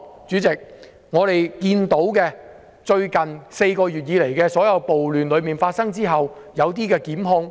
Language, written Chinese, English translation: Cantonese, 主席，過去4個月以來，在暴亂發生後，有些人士被檢控。, Chairman some people have been arrested in the riots over the past four months